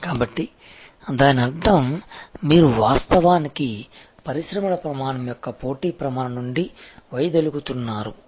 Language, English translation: Telugu, So; that means, you are actually deviating from the competitive standard of the industry standard